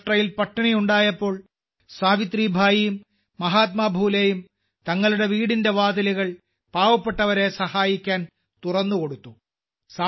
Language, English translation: Malayalam, When a famine struck in Maharashtra, Savitribai and Mahatma Phule opened the doors of their homes to help the needy